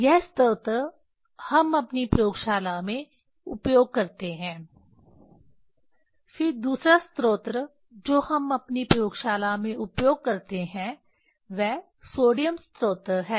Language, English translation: Hindi, This source we use in our laboratory then second source we use in our laboratory that is sodium source